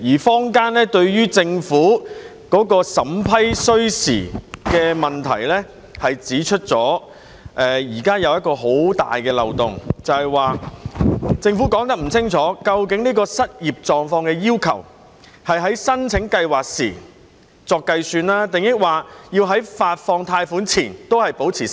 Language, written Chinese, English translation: Cantonese, 坊間就政府審批需時的問題指出，現時存在很大的漏洞，便是政府沒有清楚說明，究竟對失業狀況的要求，是按申請計劃時計算，還是在發放貸款前仍然維持失業？, Regarding the time required for the Government to vet and approve applications some in the community have pointed out a very big loophole at present and that is the Government has not clearly specified the unemployment status Should the applicant be unemployed when the application is made or should he remain unemployed until the loan is granted?